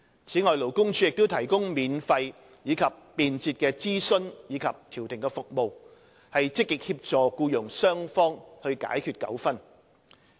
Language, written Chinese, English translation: Cantonese, 此外，勞工處亦提供免費及便捷的諮詢及調停服務，積極協助僱傭雙方解決糾紛。, Moreover LD provides free and convenient consultation and conciliation services to proactively assist employers and employees in resolving disputes